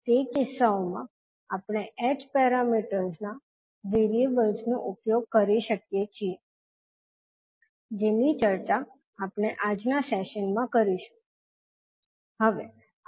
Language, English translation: Gujarati, So in those cases we can use the h parameter variables which we will discuss in today's session